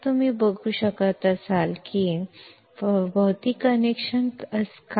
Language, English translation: Marathi, If you can see, is there any physical connection like this